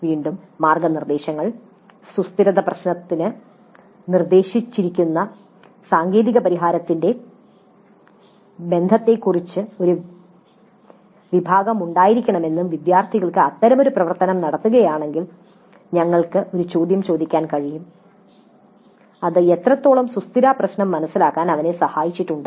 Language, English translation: Malayalam, Again the guidelines if they say that there must be a section dealing with the relationship of the technical solution proposed to the sustainability issue and if the students do carry out such an activity then we can ask a question to what extent it has helped them to understand their sustainability problem